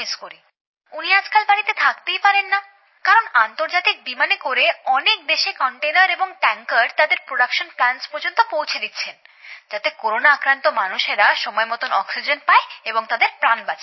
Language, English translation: Bengali, Now a days he is not able to stay home much as he is going on so many international flights and delivering containers and tankers to production plants so that the people suffering from corona can get oxygen timely and their lives can be saved